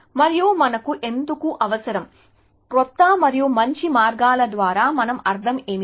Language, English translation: Telugu, And why do we need, what do we mean by newer and better ways